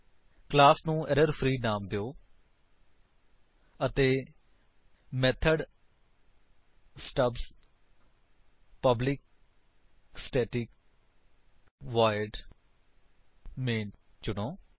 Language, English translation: Punjabi, Let us name the class ErrorFree and select methods stubs public static void main